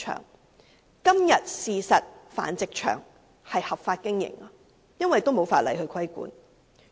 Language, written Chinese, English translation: Cantonese, 事實上，現時的繁殖場都是合法經營的，因為根本沒有法例規管。, As a matter of fact all local animal breeding facilities are now lawfully operated as there is simply no regulatory law